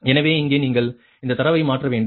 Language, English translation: Tamil, so here you have to substitute all this data